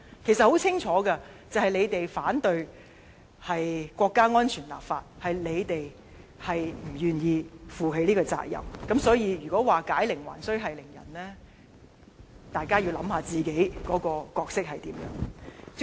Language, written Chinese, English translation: Cantonese, 其實事情很清楚，就是你們反對國家安全立法在先，是你們不願意負起這個責任，因此，如果指解鈴還需繫鈴人，大家要想想自己的角色。, In fact the answer is clear . You are the ones who first objected the legislation on national security . You are the ones who were unwilling to perform the duty